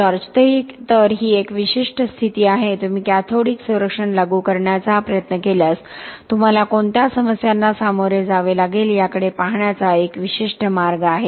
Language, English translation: Marathi, Ok So that is a specific condition, a specific way of looking at the problems that you will face if you try to apply cathodic protection